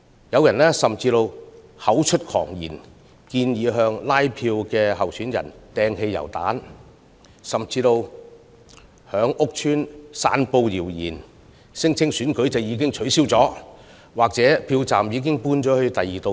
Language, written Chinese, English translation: Cantonese, 有人甚至口出狂言，建議向拉票的參選人投擲汽油彈，甚至在屋邨散布謠言，聲稱選舉已取消或票站已遷往別處等。, Some have even gone so far as to suggest the hurling of petrol bombs at candidates who canvass votes and spread rumours at housing estates about the cancelation of the election or the relocation of polling stations to somewhere else